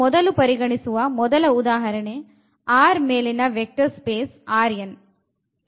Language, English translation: Kannada, So, here the first example we are considering that is the vector space R n over R